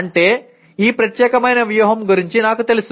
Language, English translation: Telugu, That means I am aware of this particular strategy